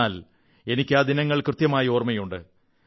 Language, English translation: Malayalam, But I remember that day vividly